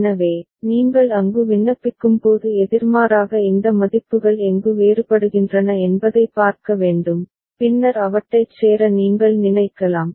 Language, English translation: Tamil, So, the opposite when you apply there also you have to look at where these values are different and then you can think of joining them ok